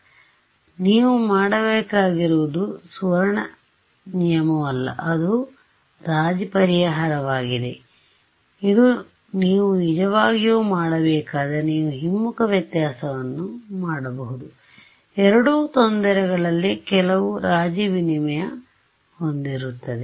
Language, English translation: Kannada, So, that is a compromise solution it is not a golden rule that you have to do this if you really want to do you could do backward difference also both will have some tradeoff in terms of the error